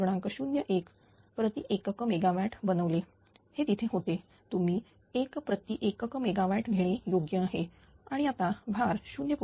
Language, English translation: Marathi, 01 per ah unit megawatt, it was there ah better you take 1 per unit megawatt it 1 per unit megawatt and now till load has decreased to 0